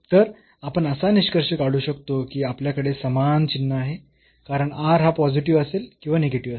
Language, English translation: Marathi, So, we can conclude now that we have the same sign because r will have either positive or negative